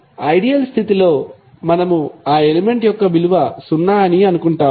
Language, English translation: Telugu, But under ideal condition we assume that the value of that element is zero